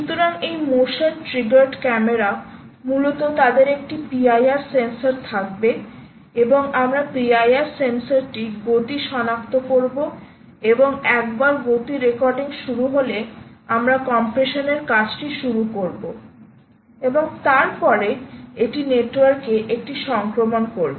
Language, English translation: Bengali, essentially they will have a p i r sensor and the p i r sensor we will detect ah, ah, motion and once the motion starts the recording, we will start it will, it will do the compression and then it will do a transmission on the network